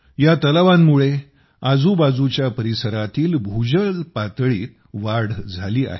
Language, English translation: Marathi, Due to these ponds, the ground water table of the surrounding areas has risen